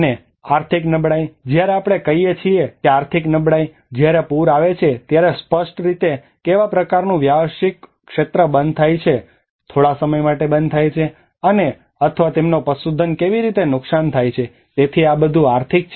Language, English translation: Gujarati, And the economic vulnerability: When we say economic vulnerability, when the flood happens obviously what kind of business sector often closes down, shuts down for a period of some time and or how their livestock gets damaged so this is all about the economical